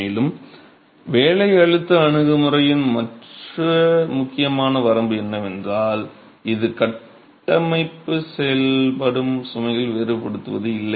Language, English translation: Tamil, And the other important limitation of working stress approach is it does not differentiate between loads acting on the structure